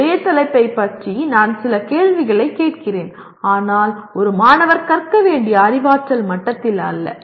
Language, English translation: Tamil, I ask some questions about the same topic but not at the level, cognitive level that a student is required to learn